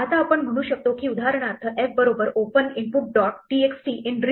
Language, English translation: Marathi, So, we can say, for instance, that f is equal to open input dot txt in read